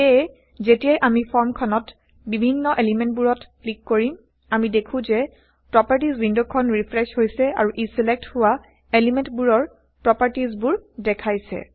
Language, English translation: Assamese, So as we click on various elements on the form, we see that the Properties window refreshes to show the selected elements properties